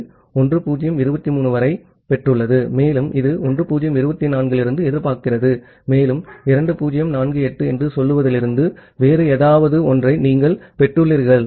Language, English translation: Tamil, It has received up to 1023 and it is expecting from 1024 and you have received the segment from say 2048 to something else